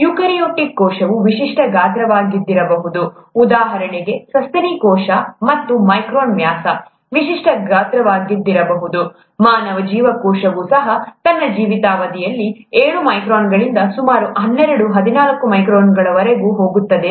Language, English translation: Kannada, Whereas a eukaryotic cell could be of a typical size, a mammalian cell for example could be of ten micron diameter, typical size, even a human cell goes anywhere from seven microns to about twelve to fourteen microns during its lifetime